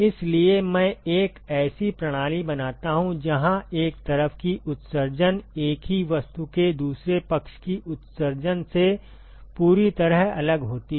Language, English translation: Hindi, So, I create a system where the emissivity of one side is completely different from the emissivity of the other side of the same object